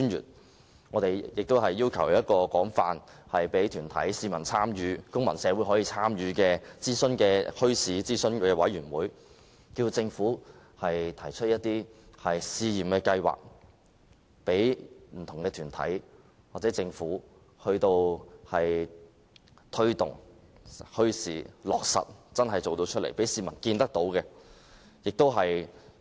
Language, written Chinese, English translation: Cantonese, 此外，我們亦要求政府設立一個可供團體、公民社會廣泛參與的墟市諮詢委員會，提出試驗計劃，讓不同團體推動墟市，政府真正落實政策，讓市民看得見。, In addition we also ask the Government to set up a consultative committee on bazaars thereby enabling the extensive involvement of various groups and the civil society the proposal of trial schemes and the promotion of promote bazaars . The Government should allow the public to see for themselves that the policy has actually been implemented